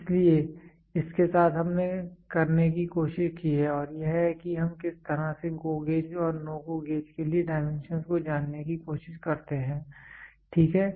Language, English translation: Hindi, So, with this we have tried to do and this is how we try to figure out the dimensions for a GO gauge and a NO GO gauge GO NO GO gauge and a GO gauge, ok